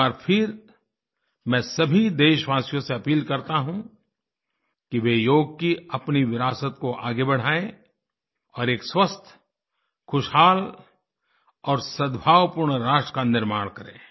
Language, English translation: Hindi, Once again, I appeal to all the citizens to adopt their legacy of yoga and create a healthy, happy and harmonious nation